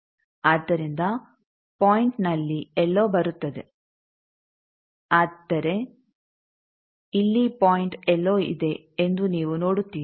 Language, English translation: Kannada, So the point comes somewhere here, but here you see the point is somewhere here